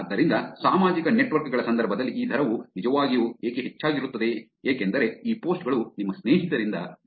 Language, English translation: Kannada, So, that is the probably why this rate is actually high in the context of social networks because it is these posts are coming from your friends